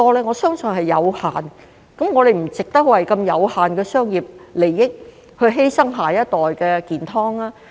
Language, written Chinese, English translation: Cantonese, 我相信這是有限的，我們不值得為如此有限的商業利益而犧牲下一代的健康。, I believe it will be limited and it is not worth sacrificing the health of our next generation for such limited commercial gains